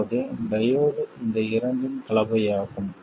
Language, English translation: Tamil, Now the diode is a combination of these two